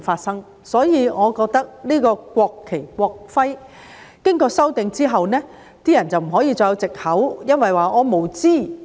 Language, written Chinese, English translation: Cantonese, 所以，我覺得在《條例草案》經過修訂之後，人們就不可以再有藉口，說因為自己無知。, Therefore I think that after the Bill is amended people can no longer use the excuse of being ignorant